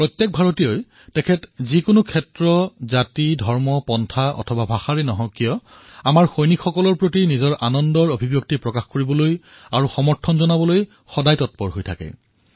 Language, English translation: Assamese, Every Indian, irrespective of region, caste, religion, sect or language, is ever eager to express joy and show solidarity with our soldiers